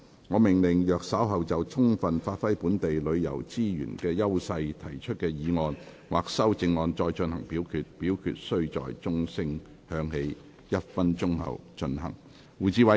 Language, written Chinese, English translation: Cantonese, 我命令若稍後就"充分發揮本地旅遊資源的優勢"所提出的議案或修正案再進行點名表決，表決須在鐘聲響起1分鐘後進行。, I order that in the event of further divisions being claimed in respect of the motion on Giving full play to the edges of local tourism resources or any amendments thereto this Council do proceed to each of such divisions immediately after the division bell has been rung for one minute